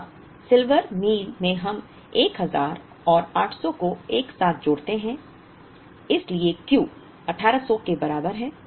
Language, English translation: Hindi, Now, in Silver Meal we try and combine this 1000 and 800 together so, Q equal to 1800